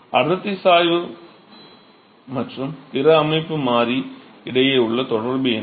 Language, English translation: Tamil, So, what is the relationship between the density gradient and the other system variable